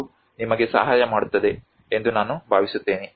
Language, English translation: Kannada, I hope this helps you